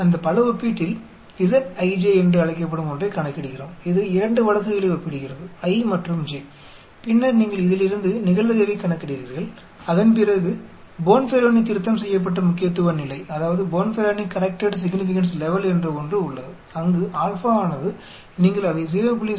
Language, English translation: Tamil, In that Multiple Comparison, we calculate something called the that is comparing 2 cases, i and j and then you calculate the probability from this and after that there is something called Bonferroni corrected significance level where